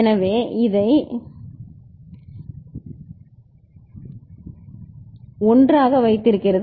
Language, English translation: Tamil, So, this 0 is holding it to 1